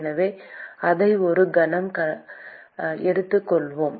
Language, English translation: Tamil, So, let us take that for a moment